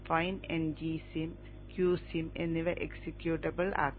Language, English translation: Malayalam, NG sim and Q sim should be made executable